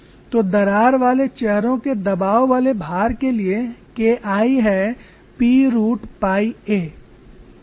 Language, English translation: Hindi, So for the pressurized loading of crack faces K 1 is P root pi a